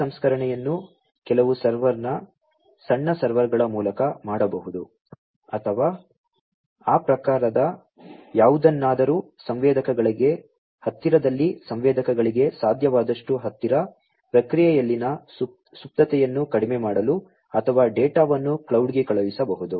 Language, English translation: Kannada, This processing can be either done through some server’s small servers or, something of that type, close to the sensors, as much close as possible to the sensors, in order to reduce the latency in processing or, the data could be sent to the cloud